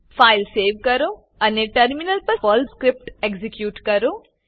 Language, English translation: Gujarati, Save the file and execute the Perl script on the Terminal